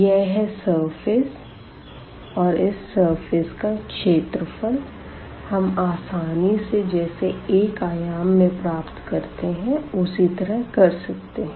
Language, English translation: Hindi, So, this is the surface here and we can get the surface area again similar to what we have for the 1 dimensional case